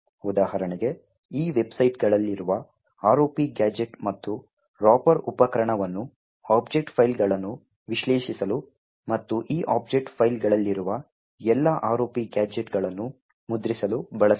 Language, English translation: Kannada, For example, the tool ROP gadget and Ropper present in these websites can be used to analyse object files and print all the ROP gadgets present in these object files